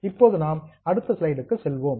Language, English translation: Tamil, Now we will go to the next slide